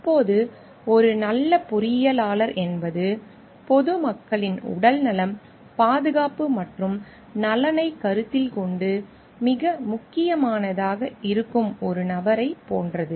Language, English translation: Tamil, Now, what we find is like a good engineer is a person who takes into consideration health safety and welfare of the public to be of paramount importance